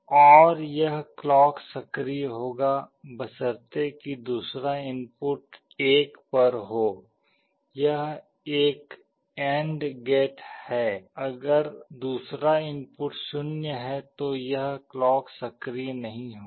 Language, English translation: Hindi, And this clock will be coming provided the other input is at 1, this is an AND gate if the other input is 0 then the clock will not come